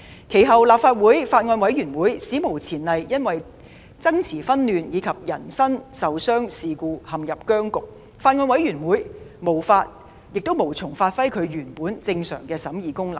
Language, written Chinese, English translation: Cantonese, 其後，立法會法案委員會史無前例因爭持紛亂及人身受傷事故陷入僵局，法案委員會無從發揮其原有的正常審議功能。, Subsequently the Bills Committee of the Legislative Council fell into an unprecedented deadlock due to struggles chaos and incidents of personal injuries rendering it unable to give play to its original normal function of scrutiny